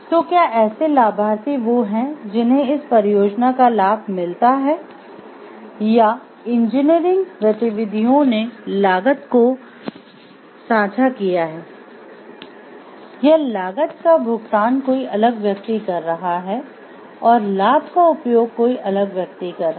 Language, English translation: Hindi, So, are the beneficiaries who reap the benefits of this project or the engineering activity are the cost shared by them are they paying for the cost also or somebody different is paying for the cost and somebody different is utilizing the benefits